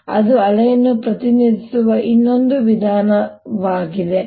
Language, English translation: Kannada, so this is another way of representing a wave